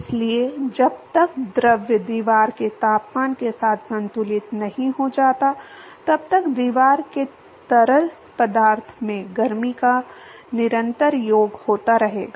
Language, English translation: Hindi, So, till the fluid equilibrates with the wall temperature, there is going to be constant addition of heat from the wall to the fluid